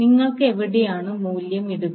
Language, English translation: Malayalam, So, where you will put the value